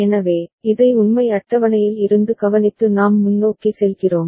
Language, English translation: Tamil, So, we take note of this from the truth table and then we go forward